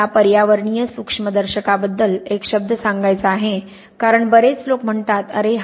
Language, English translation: Marathi, I want to say a word about environmental microscopy because many people say “oh